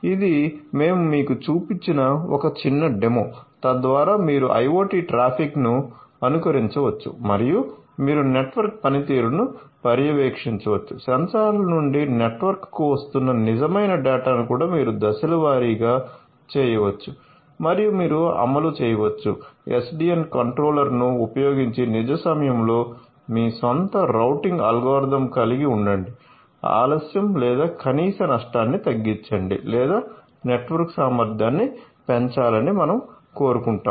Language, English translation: Telugu, So, this is a small demo we have shown to you so, that you can emulate the IoT traffic and you can a monitor the network performance, also you can phase the real data which are coming from the sensors to the network and you can deploy your own routing algorithm using the SDN controller in the real time to have let us say minimize delay or minimum loss or let us say that we want to have the maximize the network efficiency ok